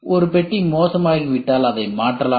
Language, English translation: Tamil, If one compartment goes bad you can replace it